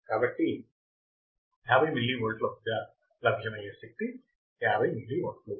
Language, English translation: Telugu, So, at 50 milliwatt, at 50 millivolts, what is the power, what is the current